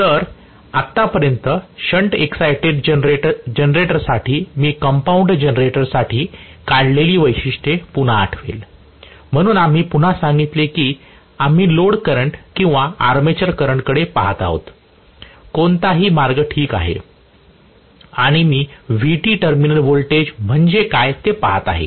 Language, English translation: Marathi, So, so much so for shunt excited generator I will again recall the characteristics what we draw for the compound generator, so we said basically again we are looking at the load current or armature current either way is fine and I am looking at what is Vt the terminal voltage